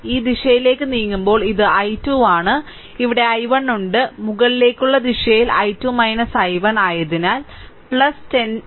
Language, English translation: Malayalam, And we are moving in this direction this is i 2 and here i 1 is there, so in upward direction is i 2 minus i 1 so plus 10 i 2 minus i 1 is equal to 0 right